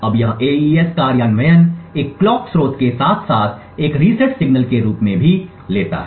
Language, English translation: Hindi, Now this AES implementation also takes as input a clock source as well as a reset signal